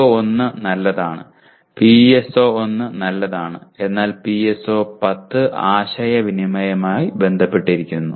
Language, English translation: Malayalam, PO1 is fine PSO1 is fine but PO10 is related to communication